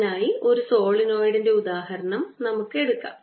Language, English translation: Malayalam, let's take that example of a solenoid